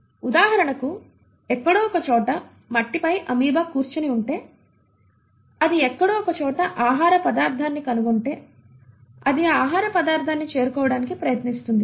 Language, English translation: Telugu, For example if there is an amoeba sitting somewhere on the soil and it finds a food particle, somewhere in the neighbourhood, it will try to approach that food particle